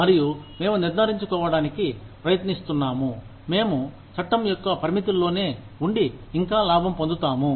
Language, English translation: Telugu, And, we are trying to make sure, we stay within the confines of the law, and still make a profit